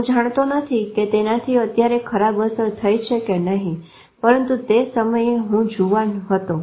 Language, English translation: Gujarati, I don't know whether that has caused the ill effect now but at that time, maybe I was younger at that time